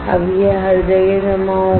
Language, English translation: Hindi, Now it will deposit everywhere